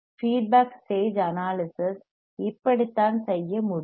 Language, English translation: Tamil, This is how the feedback stage analysis can be done